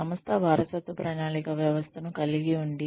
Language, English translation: Telugu, The organization has a system of succession planning